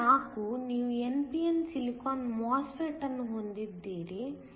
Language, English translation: Kannada, So, problem 4, you have an n p n silicon MOSFET